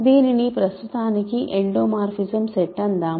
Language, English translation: Telugu, So, this is called endomorphism set for now